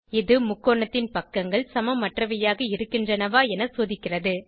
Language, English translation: Tamil, It checks whether sides of triangle are unequal